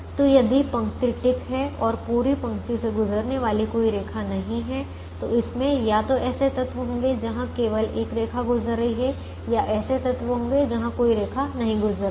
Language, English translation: Hindi, so if the row is ticked and does not have a line passing through the entire row, then it will either have elements where only one line is passing or elements where no line is passing